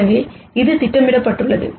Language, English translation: Tamil, So, it is projecting out